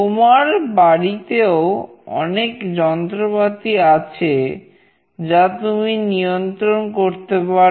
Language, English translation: Bengali, There could be many appliances in your home, which you can actually control